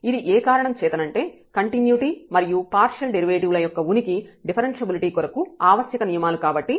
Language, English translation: Telugu, Remember that the continuity of partial derivatives is sufficient for differentiability